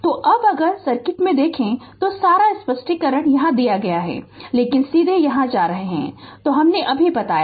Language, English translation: Hindi, So now, if you look into the circuit all explanation are there, but directly you are going here I just told you